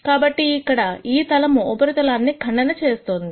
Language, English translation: Telugu, So, here is a plane that is cutting the surface